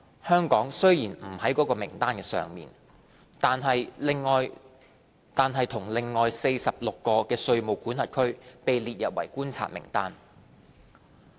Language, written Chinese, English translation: Cantonese, 香港雖然不在該名單之上，但與另外46個稅務管轄區被列入觀察名單。, Although Hong Kong is not on the list it has been put on a watch list with 46 other jurisdictions